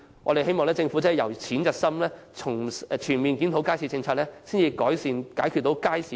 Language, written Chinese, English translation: Cantonese, 我們希望政府由淺入深，全面檢討街市政策，以改善和解決街市現存的問題。, We hope that the Government will approach the core issue layer by layer and conduct a comprehensive review of its market policy to ameliorate and solve the existing problems in markets